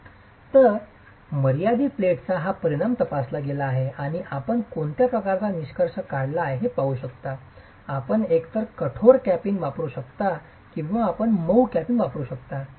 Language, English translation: Marathi, So, this effect of confining platin has been examined and you can see the kind of conclusion that has been drawn, you can either use a hard capping or you can use a soft capping